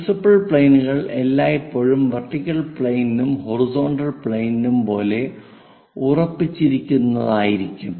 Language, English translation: Malayalam, Principal planes are always be fixed like vertical planes horizontal planes